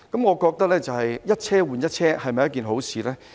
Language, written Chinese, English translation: Cantonese, 我認為一車換一車不失是一件好事。, I think it is a good thing to replace one vehicle with another